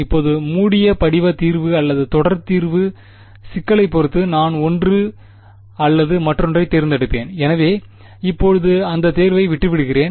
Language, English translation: Tamil, Now, the closed form solution or a series solution, depending on the problem I will choose one or the other; so will leave that choice for now